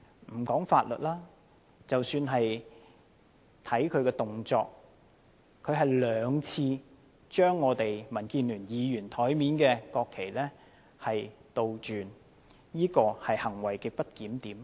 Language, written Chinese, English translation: Cantonese, 不談法律，單看其動作，他兩次將民主建港協進聯盟議員桌上的國旗倒轉擺放，這是行為極不檢點。, Putting the law aside his actions of twice inverting the national flags placed on the desks of Members from the Democratic Alliance for the Betterment and Progress of Hong Kong constituted grossly disorderly conduct